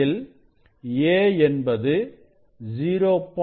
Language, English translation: Tamil, 2 this a is 0